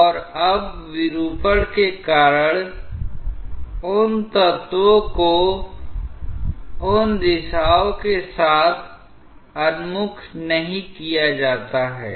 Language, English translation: Hindi, And now, because of deformation, those line elements are not oriented anymore along those directions